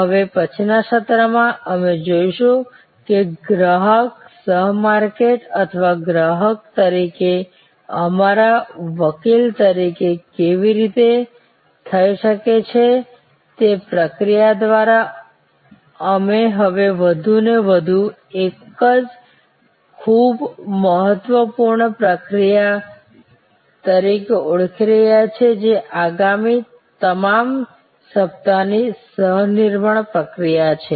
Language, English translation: Gujarati, In the next session, we will see that how this customer as co marketer or customer as our advocate can happen through a process that we are now recognizing more and more as an very important process which is the process of co creation all that next week